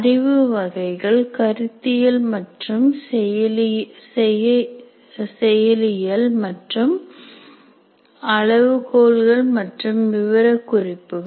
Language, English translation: Tamil, And the knowledge categories include conceptual, procedural, and C and S's criteria and specifications